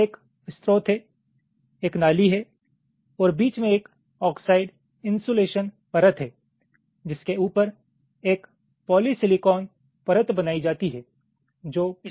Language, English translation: Hindi, so one is the source, one is the drain, and in between there is an oxide insulation layer on top of which a polysilicon layer is created which forms the gate